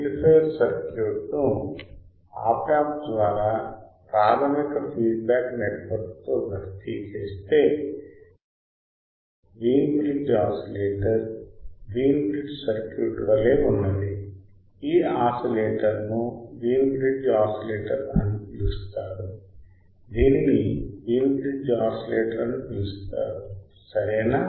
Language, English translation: Telugu, If the amplifier circuit is replaced by Op amp with basic feedback network remaining as remains as Wein bridge oscillator Wein bridge circuit the oscillator is called Wein bridge oscillator what is called Wein bridge oscillator ok